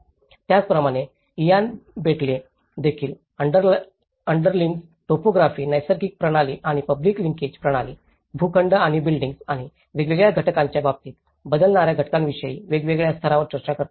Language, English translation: Marathi, Similarly, Ian Bentley also talks about how different layers of the space time the underlying topography, the natural system and the public linkage system and the plots and the buildings and the components which changes at different time aspects